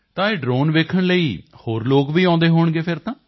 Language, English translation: Punjabi, So other people would also be coming over to see this drone